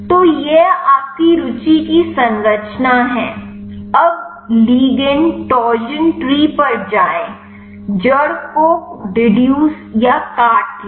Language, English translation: Hindi, So, this is the structure of your interest, now go to ligand torsion tree deduct the root